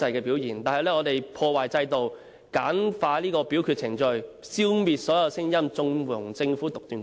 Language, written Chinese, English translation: Cantonese, 保皇派以修訂破壞制度，簡化表決程序，消滅所有聲音，縱容政府獨斷橫行。, Through the amendment to streamline the voting procedures the royalist camp destroys the system by silencing all the voices thus condoning the Government to act wilfully